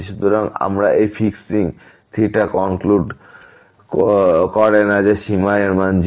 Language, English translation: Bengali, So, again this fixing theta will not conclude that the limit is 0